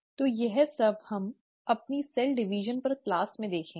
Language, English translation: Hindi, So we’ll look at all this in our class on cell division